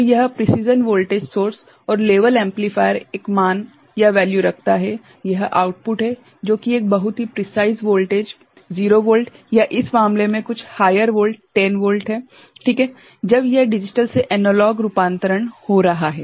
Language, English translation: Hindi, So, this precision voltage source and level amplifier holds a value at it is output, which is a very precise voltage of say 0 volt or some higher voltage in this case say 10 volt ok, when this digital to analog conversion is happening